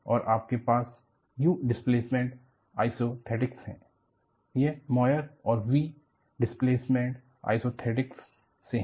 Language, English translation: Hindi, And, you have u displacement isothetics; it is from Moire and v displacement isothetics